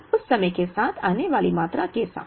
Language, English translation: Hindi, So, the with the quantity that arrives at that time